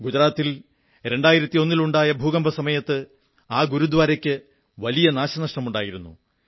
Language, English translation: Malayalam, This Gurudwara suffered severe damage due to the devastating earth quake of 2001 in Gujarat